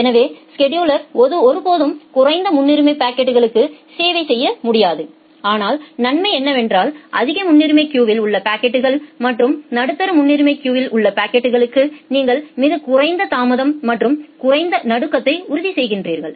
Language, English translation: Tamil, So, the scheduler is never able to serve the low priority packets, but the advantage is that you are providing very less amount of delay and you are ensuring low jitter for the packets at the high priority queue and the medium priority queue